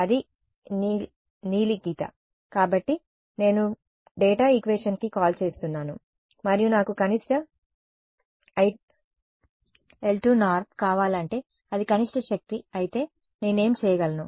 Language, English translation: Telugu, That is your blue line; so, I am calling at the data equation ok and if I want minimum l 2 norm that is minimum energy then what I can do